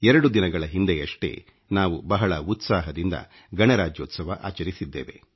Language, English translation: Kannada, Just a couple of days ago, we celebrated our Republic Day festival with gaiety fervour